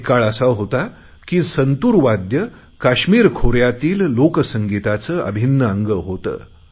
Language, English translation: Marathi, There was a time when the santoor was associated with the folk music of the Kashmir valley